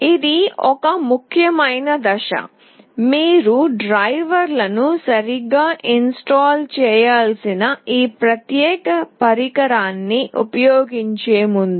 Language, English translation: Telugu, This is an important step; prior to using this particular device that you need to install the drivers properly